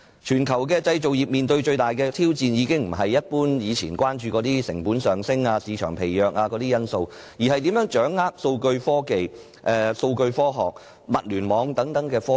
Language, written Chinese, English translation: Cantonese, 全球製造業面對的最大挑戰，已不是以往一般關注的成本上升、市場疲弱等因素，而是如何掌握數據科學和物聯網等科技。, The biggest challenge facing the global manufacturing industry is no longer the factors of rising costs and sluggish market which were the general concerns in the past but how to master technologies such as data science and Internet of Things